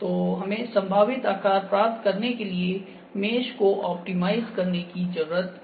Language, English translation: Hindi, So, we need to optimize the mesh to obtain the near possible shape here ok